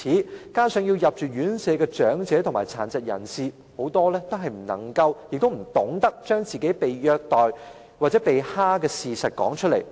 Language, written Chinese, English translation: Cantonese, 更可惜的是，需要入住院舍的長者和殘疾人士，很多也不懂得把被虐待或被欺負的事實說出來。, Worse still many elderly persons or disabled persons who need to stay in care homes do not know how to tell other people they are being abused or bullied